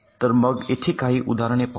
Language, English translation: Marathi, so let us look at some examples here